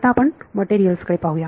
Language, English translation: Marathi, Now let us look at materials ok